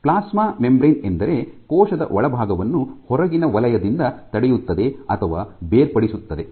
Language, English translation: Kannada, So, the plasma membrane is that which prevents or separates the inside of the cell from the outside